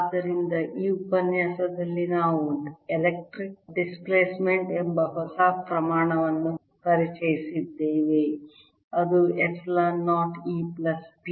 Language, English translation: Kannada, so in this lecture we have introduced a new quantity called electric displacement, which is epsilon zero e plus p